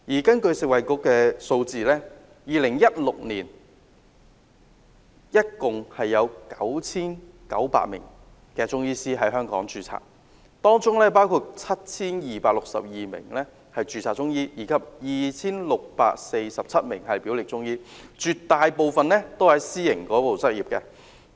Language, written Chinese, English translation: Cantonese, 根據食物及衞生局的數字 ，2016 年共有 9,900 名中醫師在香港註冊，當中包括 7,262 名註冊中醫及 2,647 名表列中醫，當中絕大部分都在私營界別執業。, According to the figures of the Food and Health Bureau a total of 9 900 Chinese medicine practitioners were registered in Hong Kong in 2016 comprising of 7 262 registered Chinese medicine practitioners and 2 647 listed Chinese medicine practitioners with a majority of them practising in the private sector